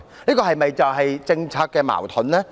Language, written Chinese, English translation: Cantonese, 這是否政策矛盾呢？, Isnt this a policy contradiction?